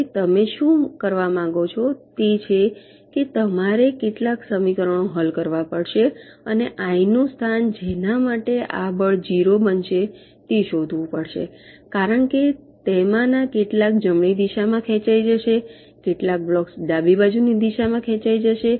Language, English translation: Gujarati, now what you want to do is that you will have to solve some equations and find out the location for i for which this force will become zero, because some of them will be pulling in the right direction, some blocks will be pulling in the left direction